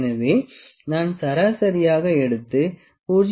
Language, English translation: Tamil, So, I can take an average 0